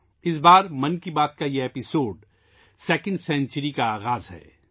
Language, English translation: Urdu, This time this episode of 'Mann Ki Baat' is the beginning of its 2nd century